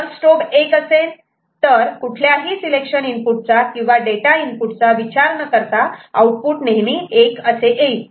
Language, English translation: Marathi, If strobe is high, irrespective of this selection input or the data input all the outputs are high ok